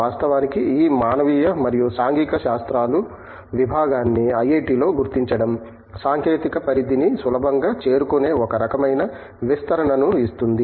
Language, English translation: Telugu, In fact, locating this humanities and humanities and social sciences department in IIT gives it, some kind of a expansion where it is easy to transcend to technological domains